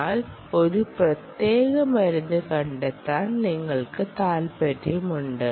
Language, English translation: Malayalam, you are interested in locating a particular drug